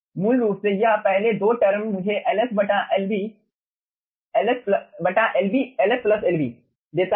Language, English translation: Hindi, basically this first 2 terms gives me ls by ls plus lb